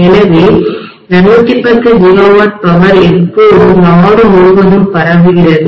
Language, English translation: Tamil, So 210 gigawatt of power is being transmitted all over the country, all the time